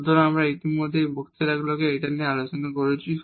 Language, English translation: Bengali, So, we have already discussed this in the last lectures